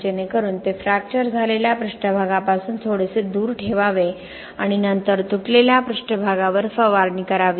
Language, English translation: Marathi, So that should be just kept slightly away from the fractured surface and then just we should spray that over the broken surfaces